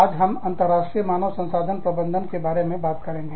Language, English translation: Hindi, Today, we will talk about, International Human Resource Management